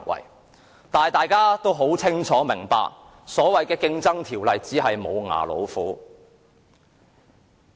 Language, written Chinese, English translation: Cantonese, 不過，大家清楚明白這項《競爭條例》只是"無牙老虎"。, However we all know full well that the Ordinance is merely a toothless tiger